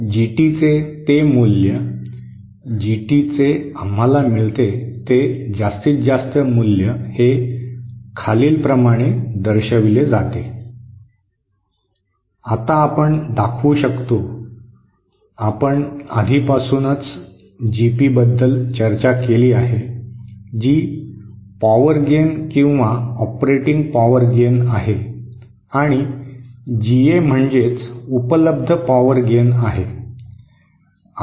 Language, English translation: Marathi, And that value of GT, that maximum value of GT that we get is given by… Now we can show, we have already talked about GP that is the power gain or the operating power gain and GA is the available power gain